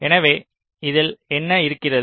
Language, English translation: Tamil, so what does this involve